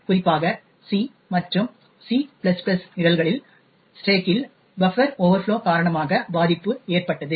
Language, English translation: Tamil, Specially, in C and C++ programs that vulnerability was caused due to buffer overflows in the stack